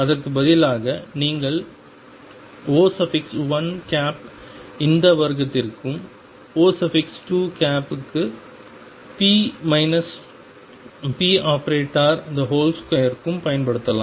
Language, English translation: Tamil, Then you can instead use for O 1 this itself square and for O 2 the square of p minus p expectation value square